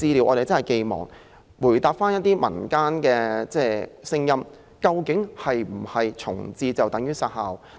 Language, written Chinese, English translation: Cantonese, 我們期望政府明確告訴大家，究竟是否重置便等於要"殺校"？, We expect the Government to tell us clearly whether relocation of the Centre means elimination which should never happen